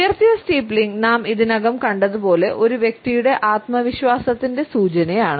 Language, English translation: Malayalam, The raised steepling, as we have already seen, is an indication of the self assurance of a person